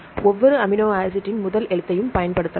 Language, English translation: Tamil, Likewise for several amino acid residues, you can use the first letter of each amino acid